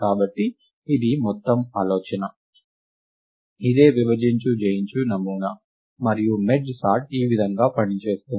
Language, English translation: Telugu, So, this is the whole idea, this is the divide and conquer paradigm, and this is what merge sort does right